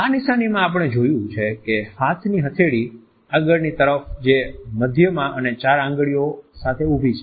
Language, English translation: Gujarati, In this sign we find that palm of the hand faces forward with the middle and four fingers held erect